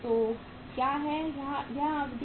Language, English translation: Hindi, So what is the duration here